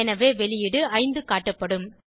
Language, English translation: Tamil, So, output will display 5